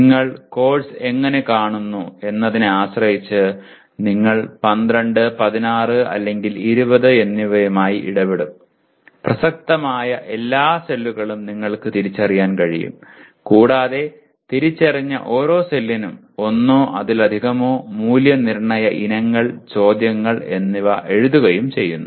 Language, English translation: Malayalam, So it could be let us say in 6 by 8, 48 you may be dealing with 12, 16, or 20 depending on how you look at the course; you can identify all the cells that are relevant and for each identified cell you write one or more assessment items, okay questions something like that